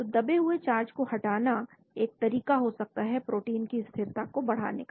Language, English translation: Hindi, so removing buried charges might be a way of increasing protein stability